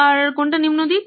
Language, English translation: Bengali, What is the low side